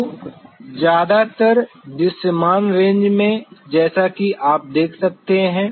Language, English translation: Hindi, So, mostly in the visible range as you could see